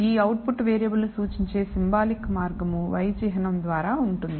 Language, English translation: Telugu, So, the symbolic way of denoting this output variable is by the symbol y